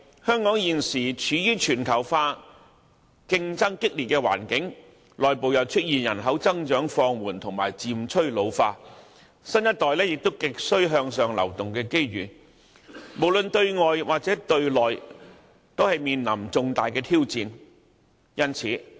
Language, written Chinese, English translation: Cantonese, 香港現時處於全球化競爭激烈的環境，內部又出現人口增長放緩及漸趨老化，新一代亦需要有向上流動的機遇，無論對外對內都面臨重大挑戰。, Nowadays Hong Kong must face serious challenges both externally and internally . Externally intense competition has arisen due to globalization . Internally Hong Kong must deal with slackened population growth as well as an ageing population while the young generation also needs opportunities to gain upward mobility